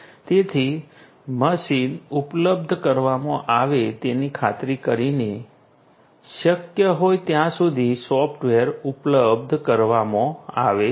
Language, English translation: Gujarati, So, ensuring that the machine is made available, the software is made available as much long as possible